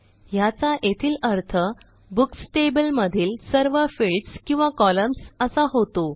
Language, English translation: Marathi, Here it means, get all the fields or columns from the Books table